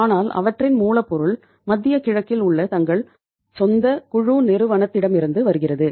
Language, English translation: Tamil, But their raw material comes from their own group company which is in the Middle East